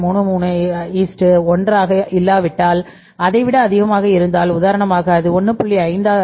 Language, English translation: Tamil, 33 is to 1 but it is more than that for example it is 1